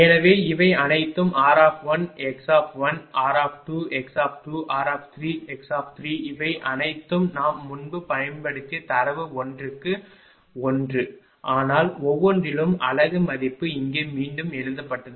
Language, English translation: Tamil, So, all these things r 1, x 1, r 2, x 2, r 3, x 3, all are in per unit these data we have used earlier, but in per unit value ah rewritten here